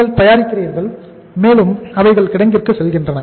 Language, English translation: Tamil, You are manufacturing and it is going to the warehouse